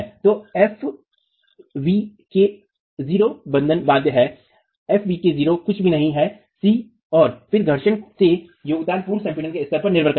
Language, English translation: Hindi, So, FECK not is bond, FECN is nothing but C and then the contribution from the friction depends on the level of pre compression